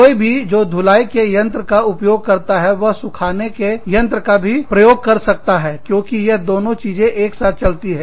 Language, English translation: Hindi, Anybody, who uses a washing machine, can also use a dryer, because these two things, go hand in hand